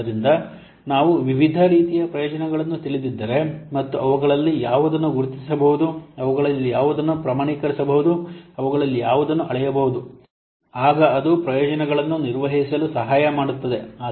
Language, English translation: Kannada, So we have to, if you know the different types of benefits and which of them can be identified, which of them can be quantified, which of them can be measured, then that will help in managing the benefits